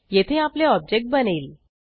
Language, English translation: Marathi, Here an object gets created